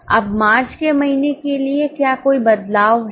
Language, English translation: Hindi, Now, for the month of March, is there any change